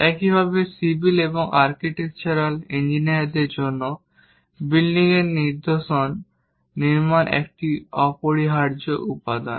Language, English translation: Bengali, Similarly, for civil and architectural engineers, constructing building's patterns is essential components